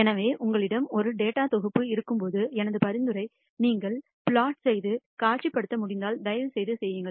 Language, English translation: Tamil, So, my suggestion is always when you have a data set, if you can plot and visualize it please do